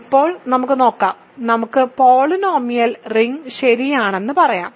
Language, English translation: Malayalam, Now, let us look at, let us say polynomial ring right